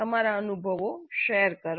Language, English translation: Gujarati, Please share your experience